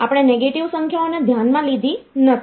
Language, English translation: Gujarati, So, we did not consider the negative numbers